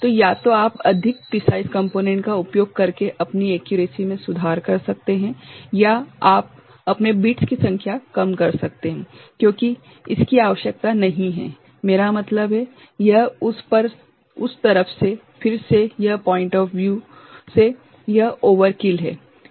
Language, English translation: Hindi, So, either you improve your accuracy by using more precise components or you can reduce your the number of bits because it is not required, I mean, it is again from that side, that point of view it is overkill, ok